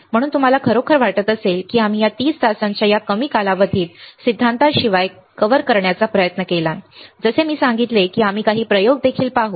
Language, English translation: Marathi, So, lot of things if you really think we have tried to cover in this short duration of 30 hours apart from this theory like I said we will also do few experiments